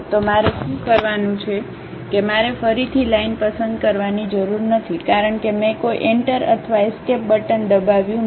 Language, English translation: Gujarati, So, what I have to do is I do not have to really pick again line because I did not press any Enter or Escape button